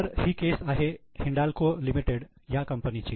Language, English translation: Marathi, So, this is the case of Hindalco Limited